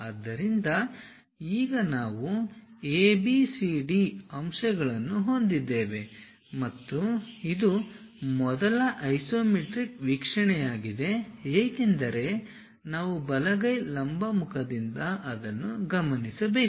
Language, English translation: Kannada, So, now, we have points ABCD and this is the first isometric view because we are observing it from right hand vertical face